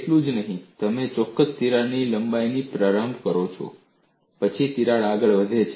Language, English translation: Gujarati, Not only this, you start with the particular crack length, then the crack advances